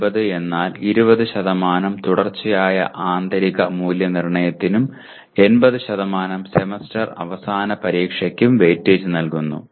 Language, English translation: Malayalam, 20:80 means 20% weightage is given to Continuous Internal Evaluation and 80% to Semester End Examination